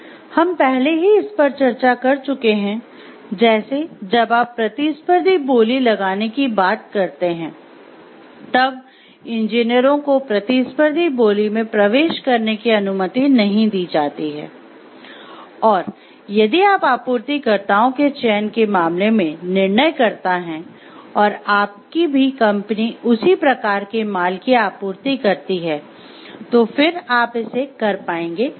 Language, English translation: Hindi, So, we have already discussed this over, like when you talking of competitive bidding and why engineers are not permitted to enter into competitive bidding, and if you were a decision maker in terms of selection of suppliers and you also have a company who supplies same types of goods, then whether you will be able to do it or not